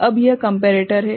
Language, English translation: Hindi, Now, this is the comparator